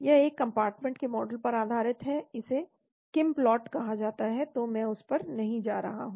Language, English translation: Hindi, this is based on a one compartment model , it is called KinPlot so I am not going to that